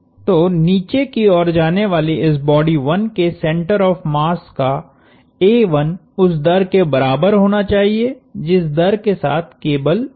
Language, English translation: Hindi, So, a1 the center of mass of this body 1 moving downwards would have to exactly equal the rate at which the cable is unwinding